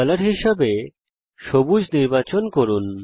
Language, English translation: Bengali, Select Color as Green